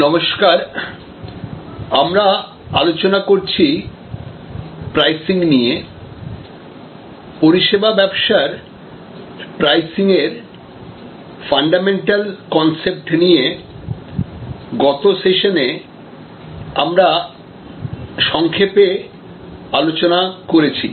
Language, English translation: Bengali, Hello, so we are discussing about Pricing, Services Pricing, Pricing in the Services business, we discussed briefly the fundamental concepts in the last secession